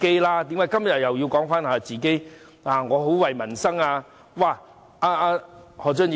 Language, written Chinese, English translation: Cantonese, 為何他們今天又說自己很為民生着想？, Why do they say today that they are concerned about peoples livelihood?